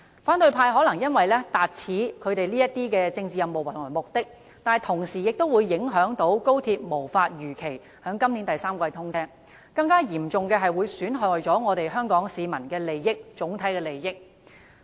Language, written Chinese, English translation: Cantonese, 反對派可能因此達到他們的政治任務和目的，但同時會影響高鐵無法如期在今年第三季通車；更嚴重的是，此舉會損害香港市民的整體利益。, The opposition camp may accomplish their political mission and reach their goals with these acts but at the cost of XRL failing to begin operation in the third quarter this year as scheduled . Worse still it will prove detrimental to the overall interests of Hong Kong people